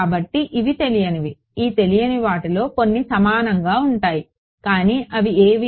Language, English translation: Telugu, So, these are unknowns right of these unknowns some the unknown are the same which are they